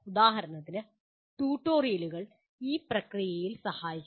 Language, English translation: Malayalam, For example, tutorials do help in this process